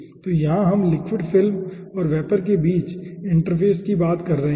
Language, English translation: Hindi, okay, so here we are having the interface between the liquid film and the vapor